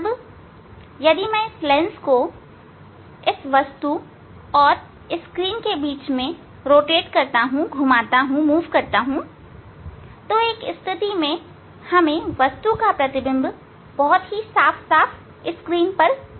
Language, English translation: Hindi, Now, if we move this lens between these object and screen so for a one position, we will get sharp image of the object on the screen